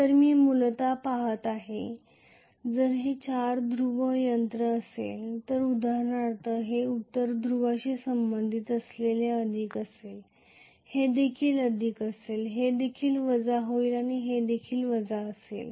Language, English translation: Marathi, So I am essentially looking at, if it is a four pole machine for example this is going to be plus which is affiliated to north pole, this will also be plus, this will be minus and this will be minus as well